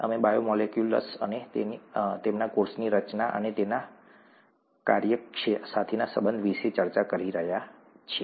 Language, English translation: Gujarati, We are discussing ‘Biomolecules and their relationship to the cell structure and function’